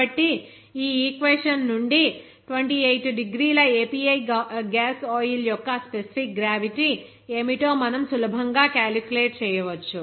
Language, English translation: Telugu, So from this equation, we can easily calculate what should be the specific gravity of 28 degree API gas oil